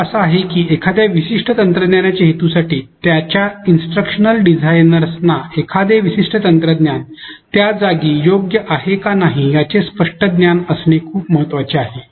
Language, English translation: Marathi, The point is that it is very important for an instructional designer to have a clear understanding about the fit of a particular technology for its purpose